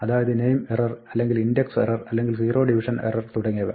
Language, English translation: Malayalam, So, it is name error or an index error or a zero division error and